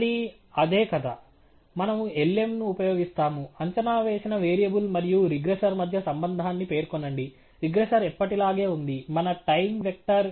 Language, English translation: Telugu, Again, the same story; we use lm, specify the relationship between the predicted variable and the regressor; the regressor is as usual our time vector